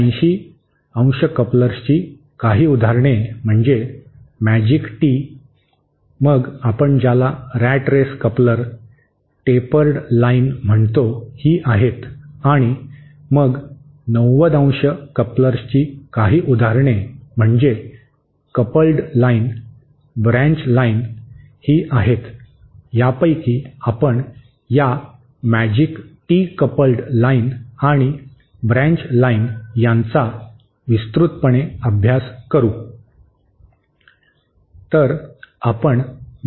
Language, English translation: Marathi, Some examples of 180¡ couplers are magic tee, then what we call rat race coupler, tapered line and then some examples of 90¡ couplers are coupled line, Blanch line, of this we will study in detail this magic Tee coupled line and branch line